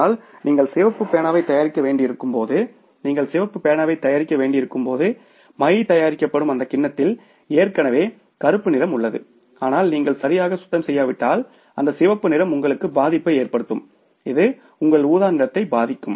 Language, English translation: Tamil, But when you have to manufacture the red pen, when you have to manufacture the red pen, now that bowl where the ink is being prepared that already has the black color in it and if you don't clean it properly then it can affect your red color, it can affect your purple color